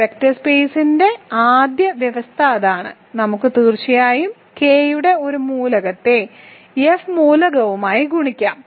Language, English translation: Malayalam, So, that is the first condition for a vector space and we can certainly multiply an element of K with an element of F